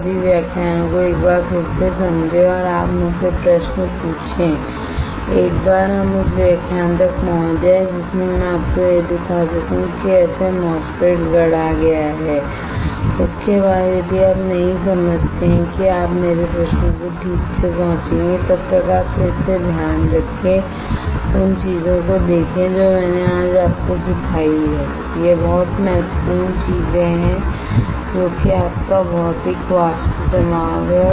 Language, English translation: Hindi, Understand all the lectures once again and you ask me questions once we reach the lecture in which I can show it to you how the MOSFET is fabricated, after that if you do not understand you ask my questions alright, till then you take care once again look at the things that I have taught you today it is very important things which is your physical vapour deposition right